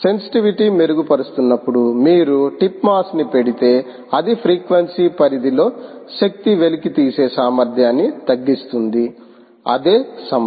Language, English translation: Telugu, essentially, if you put a tip mass, while sensitivity improves, its ability to extract energy across a range of frequencies reduces